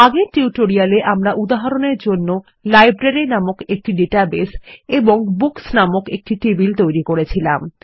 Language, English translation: Bengali, During the course of the tutorial we also created an example database called Library and created a Books table as well